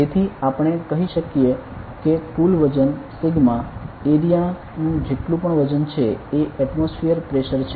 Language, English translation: Gujarati, So, we can say the total weight the sigma of whatever weight of the area is the atmospheric pressure